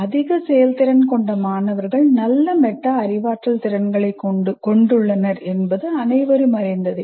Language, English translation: Tamil, And it is quite known, high performing students have better metacognitive skills